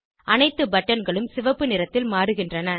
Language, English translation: Tamil, All the buttons change to Red color